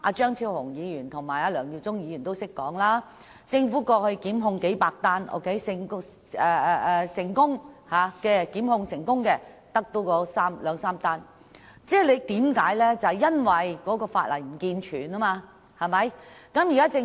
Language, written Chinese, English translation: Cantonese, 張超雄議員和梁耀忠議員剛才也說，政府過去曾提出過百宗檢控，但成功檢控的卻只有兩三宗，就是因為法例不健全。, In their speeches Dr Fernando CHEUNG and Mr LEUNG Yiu - chung have also attributed the reason for only two or three successful prosecutions among the hundreds initiated by the Government to the unsound law